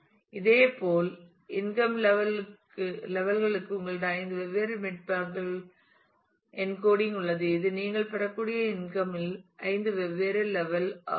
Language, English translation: Tamil, Similarly, for the income levels you have 5 different bitmaps encoding; the 5 different possible levels in the income that you can have